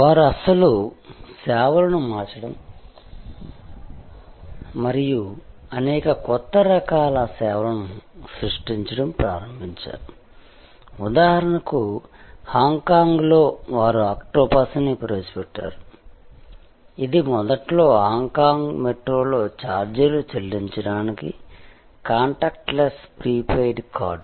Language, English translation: Telugu, They started transforming original services and creating many new types of services, for example in Hong Kong, they introduced octopus, which was initially a contact less prepaid card for paying the fare on Hong Kong metro